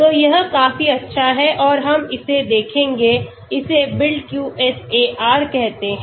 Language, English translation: Hindi, So it is quite good and we will look at it that is called BuildQSAR